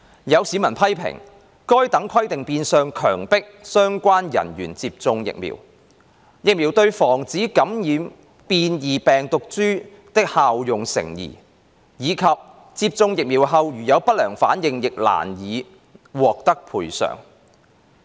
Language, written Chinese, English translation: Cantonese, 有市民批評，該等規定變相強迫相關人員接種疫苗、疫苗對防止感染變異病毒株的效用成疑，以及接種疫苗後如有不良反應亦難以獲得賠償。, Some members of the public have criticized that such requirements are de facto forcing the relevant personnel to get vaccinated that the vaccines efficacy in preventing the infection of mutant strains is doubtful and that it is difficult to obtain compensation in the event of post - vaccination adverse reactions